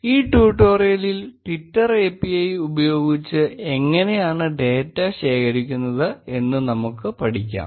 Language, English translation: Malayalam, In this tutorial, we will learn how to collect data using twitter API